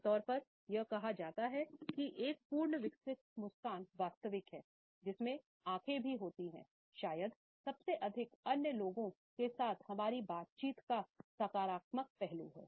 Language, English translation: Hindi, Normally, it is said that a full blown smile is genuine, a full blown smile in which the eyes are also lived up is perhaps the most infectious aspect of our interaction with other people